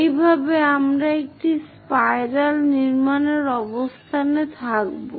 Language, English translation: Bengali, That way, we will be in a position to construct a spiral